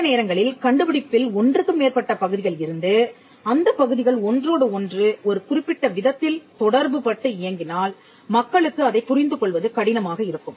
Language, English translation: Tamil, Sometimes, if the invention has multiple parts and if the parts interact with each other in a particular way, it takes time for people to understand that